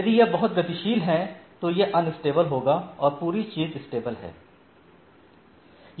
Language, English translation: Hindi, So, if it is very dynamic it is unstable then the whole thing is unstable